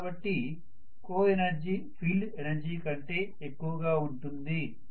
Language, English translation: Telugu, So coenergy happens to be greater than whatever is the field energy